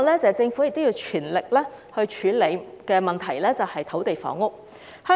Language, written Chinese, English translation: Cantonese, 政府要全力處理的另一個問題，是土地房屋。, Another issue which requires the Governments all - out efforts is land and housing